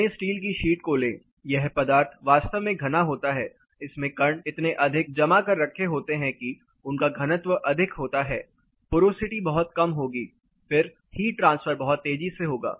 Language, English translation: Hindi, Take dense steel sheet; the material is really dense, the particles are so compactly place the density is high, porosity will be pretty minimum then the heat transfer is going to happen much faster